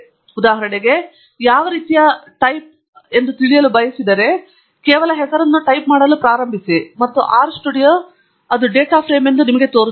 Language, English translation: Kannada, So, for example, if I want to know what type it is, just start typing the name and R studio will show you that it is a data frame as well